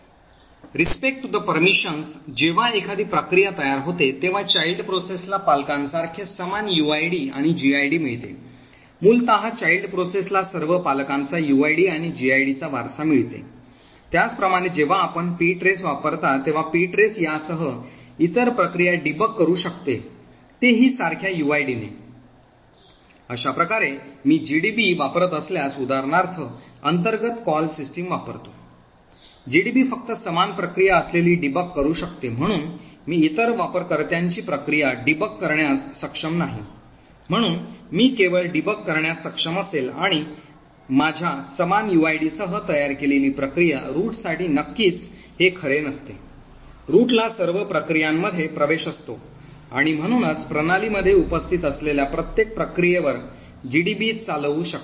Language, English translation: Marathi, With respect to the permissions when a process gets created the child process gets the same uid and gid as the parent, essentially the child process inherits all the parents uid and gid as well, similarly when you are using ptrace, ptrace can debug other processes with the same uid, thus if I use GDB for example which internally uses the system call ptrace, GDB can only debug processes which have the same uid, therefore I will not be able to debug other users process, so I will only be able to debug a process which is created with my same uid, this of course does not hold true for root, the root has access to all processes and therefore can run GDB on every process present in the system